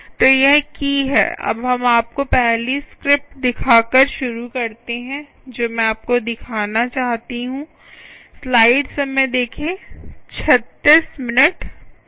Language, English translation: Hindi, now let us first start by the, by showing you first script that i would like to show you